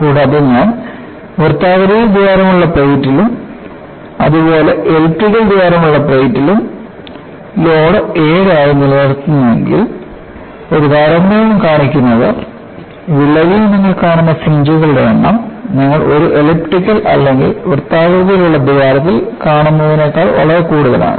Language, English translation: Malayalam, And, if I maintain the load as 7 in plate with the circular hole, as well as 7 in the elliptical hole, the mere comparison shows, the number of fringes you come across in a crack is much higher than what you see in an elliptical hole or a circular hole